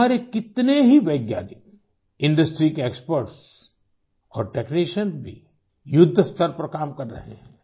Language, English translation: Hindi, So many of our scientists, industry experts and technicians too are working on a war footing